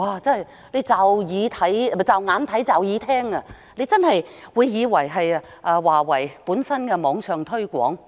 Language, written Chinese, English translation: Cantonese, 驟眼看來，讀者真的會以為這是華為的網上推廣。, At a glance readers may really think that this is some sort of online promotion for Huawei